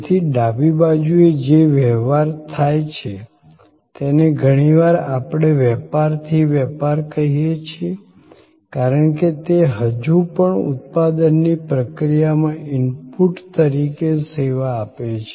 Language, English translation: Gujarati, So, on the left hand side the transactions we often call them business to business, because it is still being serving as inputs to a manufacturing process